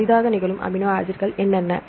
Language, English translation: Tamil, How many amino acid residues